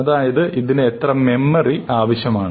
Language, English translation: Malayalam, How much memory does it require